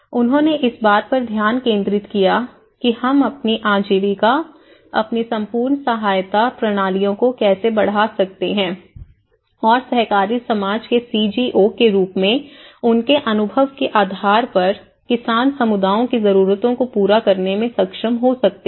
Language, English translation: Hindi, They focused on how we can enhance their livelihoods, their the whole support systems and based on their experience as an co operative society the CGOs they have actually could able to address the peasant communities needs